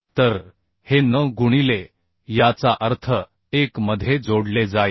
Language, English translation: Marathi, so this will be n into means 1 into this this will be added